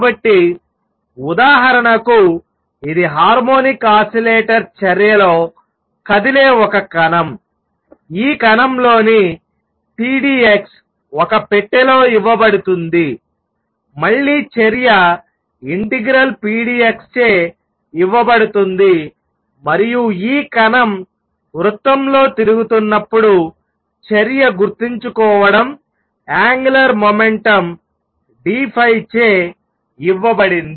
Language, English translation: Telugu, So, for example, it is a particle moving around in harmonic oscillator action is given by pdx in this particle in a box, again action will be given by integral pdx and for this particle going around in a circle, the action remember was given by the angular momentum d phi